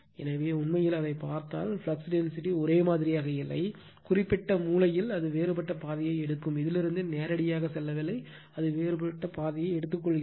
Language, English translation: Tamil, So, it is actually if you look into that, the flux density is not uniform right, the particular the corner it will taking some different path, not directly going from this to that right, it is taking some different path